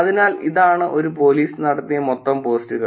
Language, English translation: Malayalam, So, total posts that were done by a police